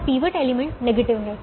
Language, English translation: Hindi, this pivot element is negative